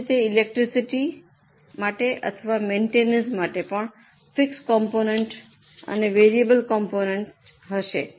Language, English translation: Gujarati, Similarly for electricity or for maintenance also there will be a fixed component and variable component